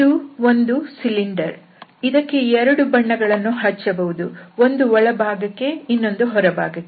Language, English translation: Kannada, So this is the cylinder, we can paint with 2 different colours, the inside and the outside